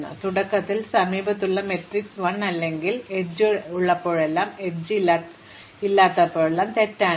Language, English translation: Malayalam, So, initially the adjacency matrix has 1 or true, whenever there is an edge, false whenever there is no edge